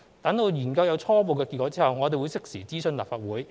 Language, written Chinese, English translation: Cantonese, 待研究有初步結果後，我們會適時諮詢立法會。, When there are preliminary results of the studies we will consult the Legislative Council in due course